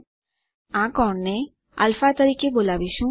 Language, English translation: Gujarati, we will call this angle α